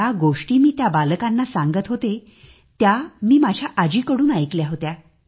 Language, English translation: Marathi, And this story I was referring to… I had heard it from my grandmother